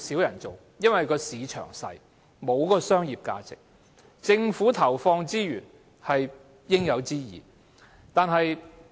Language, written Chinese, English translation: Cantonese, 因為市場小，沒有商業價值，所以政府投放資源是應有之義。, Since the market is small there is no business value for such development . Hence it is righteous for the Government to allocate resources to this area